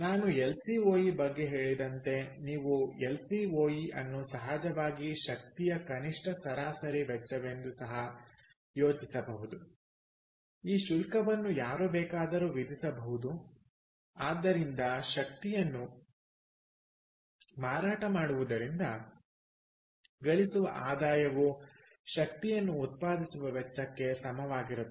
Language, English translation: Kannada, so therefore, as i said, lcoe you can also think of it as lcoe is the minimum average cost of energy, of course, that one can charge, so that revenues earned by selling energy is equal to the cost of producing or generating the energy